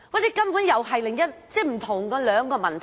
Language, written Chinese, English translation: Cantonese, 這根本是另一個問題，涉及兩個問題。, But this is entirely another issue and these are two different issues